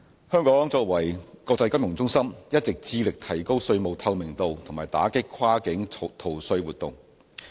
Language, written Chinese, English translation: Cantonese, 香港作為國際金融中心，一直致力提高稅務透明度和打擊跨境逃稅活動。, Hong Kong as an international finance centre has been endeavouring to enhance tax transparency and combating cross - border tax evasion